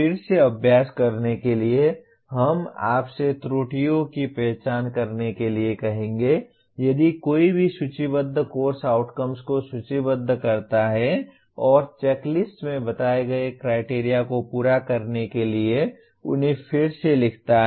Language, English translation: Hindi, Again to further practice we would ask you to identify the errors if any in course outcomes listed and rewrite them to fulfil the criteria stated in the checklist